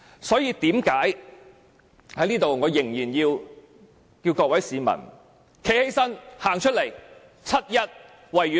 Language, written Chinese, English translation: Cantonese, 所以，我仍然要求各位市民走出來，七一維園見。, Hence I still ask members of the public to come out; let us meet in the Victoria Park on 1 July